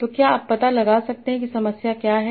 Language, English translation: Hindi, So can you find out what is the problem